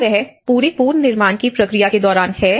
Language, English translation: Hindi, Is it throughout the reconstruction process